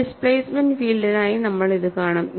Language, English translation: Malayalam, We would also see it for a displacement field